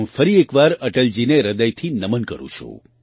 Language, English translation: Gujarati, I once again solemnly bow to Atal ji from the core of my heart